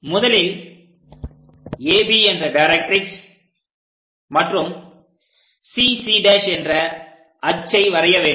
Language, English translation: Tamil, The first thing, draw a directrix AB and axis CC prime